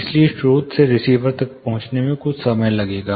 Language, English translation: Hindi, So, from source to receiver, it will take some amount of time to reach